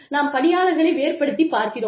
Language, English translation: Tamil, We differentiate between people